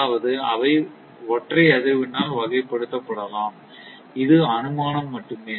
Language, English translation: Tamil, That means, they can be characterized by single frequency this is the assumption